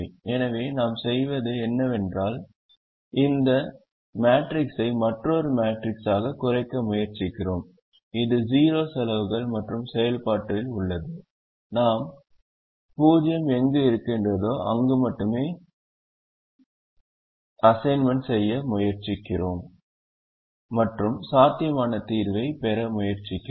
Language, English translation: Tamil, therefore, what we do is we try to reduce this matrix to another matrix which has zero costs and in the process we try to make assignments only in the zero positions and try to get a feasible solution